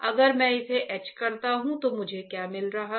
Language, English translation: Hindi, If I etch it, then what I am getting